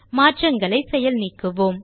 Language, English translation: Tamil, Lets undo this change